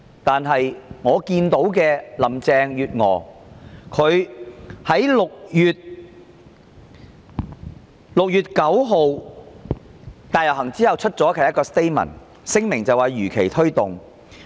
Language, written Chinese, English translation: Cantonese, 但是，林鄭月娥在6月9日大遊行後發出的聲明中，表示會如期推動修例。, However in her statement issued on 9 June after the large - scale procession Carrie LAM said that the legislative amendment would proceed as scheduled